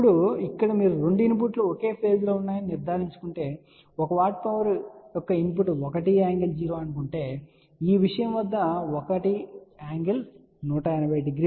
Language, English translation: Telugu, Now, over here you have to ensure that the 2 inputs here are at the same phase, just look at the extreme case here suppose the input of this one watt power is let us say a 1 angle 0, but the input at this thing is 1 angle 180 degree